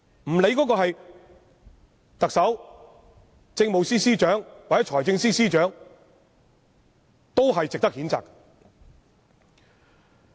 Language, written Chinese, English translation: Cantonese, 不管那人是特首、政務司司長或財政司司長，同樣應被譴責。, This official should be condemned whether it be the Chief Executive the Chief Secretary for Administration or the Financial Secretary